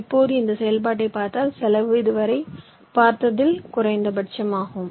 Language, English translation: Tamil, now, in this process we will see that ah, this cost is the minimum one you have seen so far